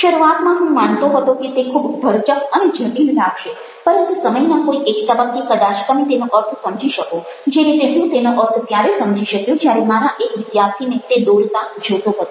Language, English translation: Gujarati, i belief initially they would look fairly dense and complicated, but at some point of time, probably, you would make sense of it, as i was able to make sense of it when i saw it being drawn by one of my students